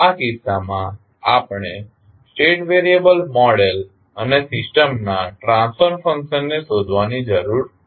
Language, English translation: Gujarati, In this case we need to determine the state variable model and the transfer function of the system